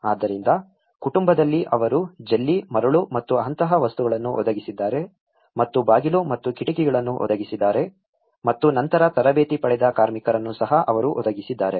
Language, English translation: Kannada, So, in family they have provided the materials like the gravel, sand and things like that and also the doors and windows and they also provided the labour which got training later on